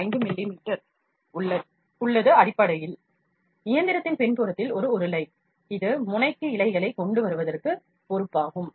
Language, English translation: Tamil, 5 mm, there is basically a roller at the back of the machine, that is responsible for bringing the filament to the nozzle